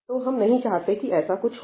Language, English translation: Hindi, obviously, we do not want this to happen